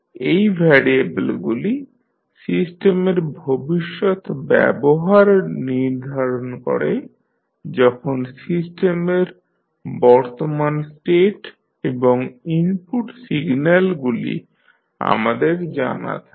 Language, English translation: Bengali, These are the variables that determine the future behaviour of the system when present state of the system and the input signals are known to us